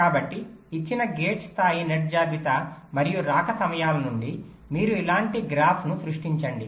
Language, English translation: Telugu, so from the given gate level net list and the arrival times, you create a graph like this